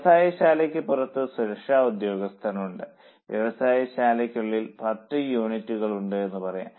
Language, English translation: Malayalam, That security is for, let us say, there are 10 units inside the factory